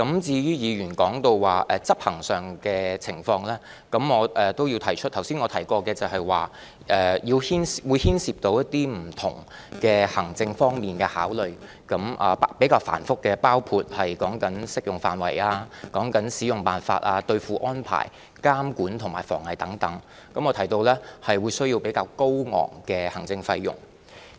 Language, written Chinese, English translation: Cantonese, 至於議員提及執行上的情況，我也要指出，我剛才提及有關建議會牽涉不同行政方面的考慮，比較繁複，包括訂定適用範圍、使用辦法、兌付安排、監管和防偽措施等，我也提及可能需要比較高昂的行政費用。, As regards the implementation arrangements mentioned by the Honourable Member I need to point out that the proposal as I said earlier involves different rather complicated administrative considerations including determining the scope of coverage the terms of usage the redemption arrangements the control and anti - counterfeiting measures etc . which as I mentioned may result in relatively high administrative costs